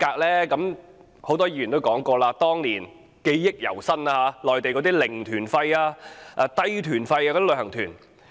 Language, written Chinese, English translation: Cantonese, 正如很多議員提及，這是由於內地的"零團費"、"低團費"的旅行團。, As indicated by many Members the driving force was the zero - fare or low - fare Mainland tour groups